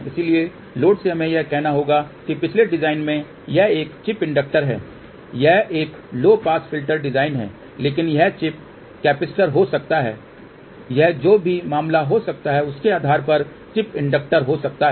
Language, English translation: Hindi, So, from the load we have to addlet us say a chip inductor this is the previous design, this is that a low pass filter design, but it can be chip capacitor this can be chip inductor depending upon whatever the case may be